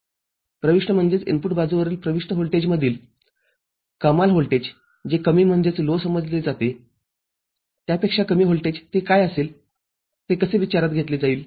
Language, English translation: Marathi, The maximum of the input voltage at the input side which is considered as low, any voltage less than that what will it be, how will it be considered